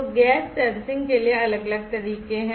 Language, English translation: Hindi, So, there are different methods for gas sensing